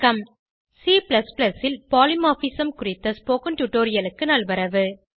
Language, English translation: Tamil, Welcome to the spoken tutorial on Polymorphismin C++